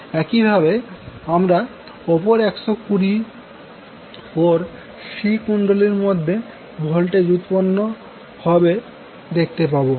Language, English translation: Bengali, Similarly after another 120 degree you will see voltage is now being building up in the C coil